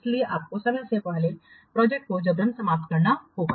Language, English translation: Hindi, That means you have to prematurely terminate a project